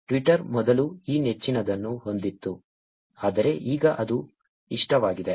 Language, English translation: Kannada, Twitter used to have this favorite earlier, but now it is likes